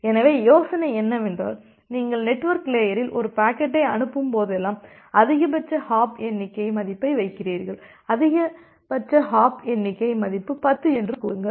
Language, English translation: Tamil, So, the idea is that whenever you are sending a packet in the transport layer in that packet you put a maximum hop count value say the maximum hop count value is 10